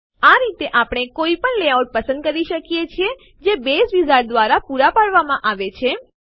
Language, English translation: Gujarati, In this way, we can choose any of the layouts that Base Wizard provides